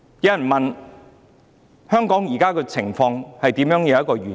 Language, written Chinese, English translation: Cantonese, 有人問香港現時的情況何時會完結？, Some people asked when the current situation in Hong Kong will end